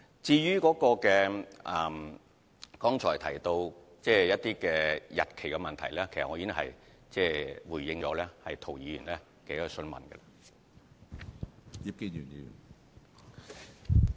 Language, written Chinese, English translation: Cantonese, 至於剛才提到有關日期的問題，我在回答涂議員的補充質詢時已作回應。, With regard to the issue of dates a response was already given when I answered Mr TOs supplementary question